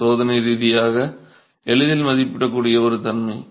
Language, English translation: Tamil, This is one property that can be rather easily assessed experimentally